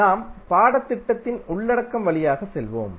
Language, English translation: Tamil, So, we will go through the the the course content